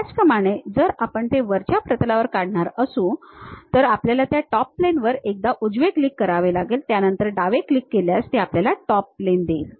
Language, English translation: Marathi, Similarly, if we are going to draw it on top plane what we have to do is give a click that is right click on that Top Plane, then give a left click on that gives you top plane